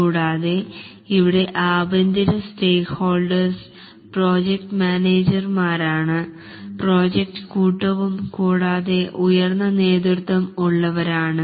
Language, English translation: Malayalam, And here the internal stakeholders are the project manager, the project team, and the top management